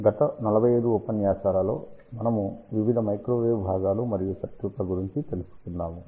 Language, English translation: Telugu, Hello, in the last 45 lectures, we have talked about various microwave components and circuits